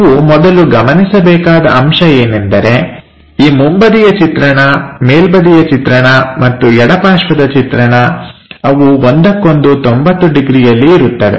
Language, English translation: Kannada, The first thing what you have to observe front view, top view and left side view, they make 90 degrees thing